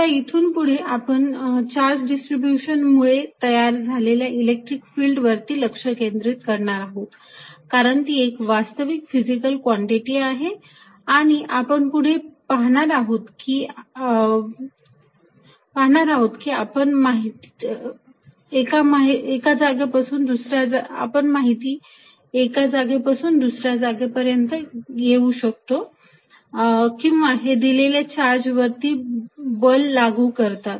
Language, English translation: Marathi, So, from now onwards, we are going to focus on the electric field produced by charge distribution, because that is what really is a physical quantity, and later we will see that is what really you now take information from one place to the other or it apply forces on for a given charge